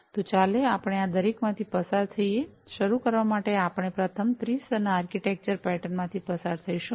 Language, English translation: Gujarati, So, let us go through each of these, to start with we will first go through the three tier architecture pattern